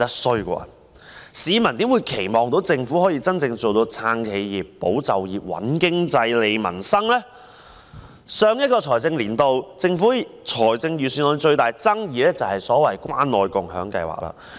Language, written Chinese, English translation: Cantonese, 試問市民又怎會期望政府可以真正做到"撐企業、保就業、穩經濟、利民生"？在去年的預算案中，引起最大爭議的是關愛共享計劃。, Even the introduction of the simplest measure that does not require overall policy support such as the annual handout of candies turned out to be very annoying